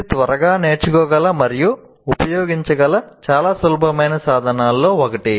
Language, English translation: Telugu, And it's one of the very simple tools that one can quickly learn and use